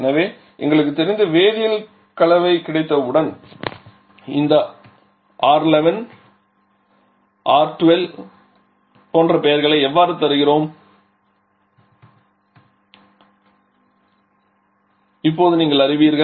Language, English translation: Tamil, So, you now know how we give the names this R11 R12 etc once we have the chemical composition known to us